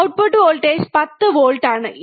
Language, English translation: Malayalam, Voltage output voltage is 10 volts